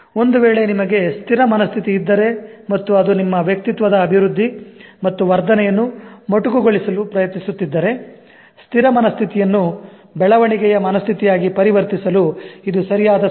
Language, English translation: Kannada, Now if you have fixed mindset and if it is trying to curtail the development and enhancement of your personality, it's high time that you try to change the fixed mindset into growth mindset